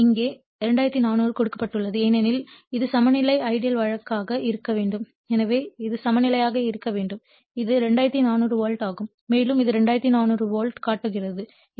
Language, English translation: Tamil, E1 is given herE2400 because it has to be balance ideal case it has to be balanced right so, it is 2400 volt here also it is showing 2400 volts right